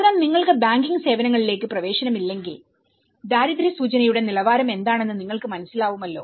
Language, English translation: Malayalam, So, the moment if you are not access to the banking services that itself tells you know, what is the level of the poverty indication